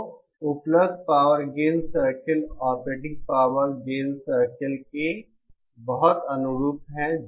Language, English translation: Hindi, So available power gain circles are very analogous to the operating power gain circle